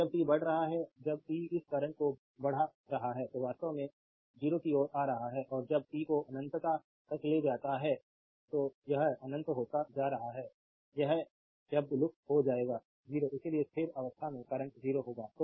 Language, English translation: Hindi, And when t is your increasing, when t is increasing this current actually approaching towards 0 and when t tends to infinity t is going to infinity right this term will vanish it will be 0